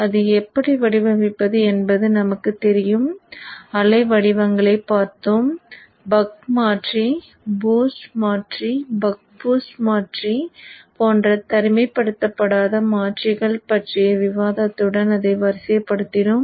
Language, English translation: Tamil, We have looked at the waveforms and then we followed it up with a discussion on non isolated converters like the buck converter, the boost converter, the buck boost converter